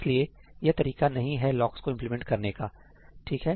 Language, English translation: Hindi, So, this is not the way locks are implemented